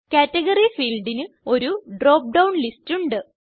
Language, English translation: Malayalam, Category field has a drop down list